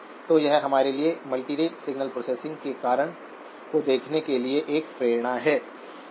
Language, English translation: Hindi, So this is a motivation for us to look at the reason for multirate signal processing, okay